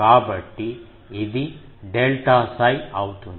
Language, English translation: Telugu, So, this will be delta psi